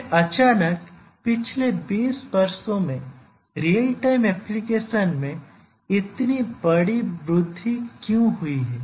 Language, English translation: Hindi, So, then why suddenly in last 20 years there is such a large increase in the real time applications